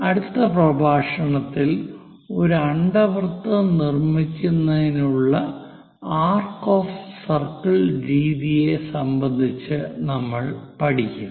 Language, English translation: Malayalam, In the next lecture, we will learn about arc of circles methods to construct an ellipse